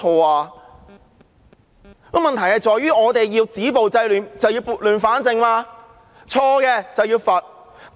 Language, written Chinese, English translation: Cantonese, 現在的問題在於我們要止暴制亂，便要撥亂反正，錯的便要罰。, The present problem is that if we were to stop violence and curb disorder we ought to bring order out of chaos and punish those who have wronged